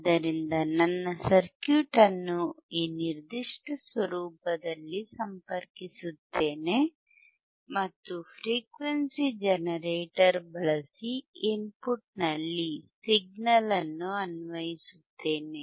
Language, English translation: Kannada, So, I will connect my circuit in this particular format and I will apply the signal at the input using the frequency generator